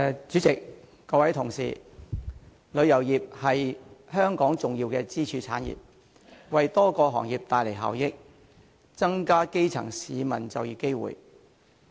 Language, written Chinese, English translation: Cantonese, 主席，各位同事，旅遊業是香港重要的支柱產業，為多個行業帶來效益，增加基層市民的就業機會。, President and Honourable colleagues the tourism industry is an important pillar industry in Hong Kong . It brings benefits to many industries and increases employment opportunities for the grass roots